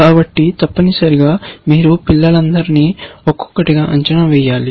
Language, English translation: Telugu, So, you have to evaluate all the children, essentially, one by one